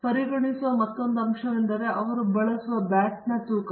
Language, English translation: Kannada, Another factor we are considering is the weight of the bat he uses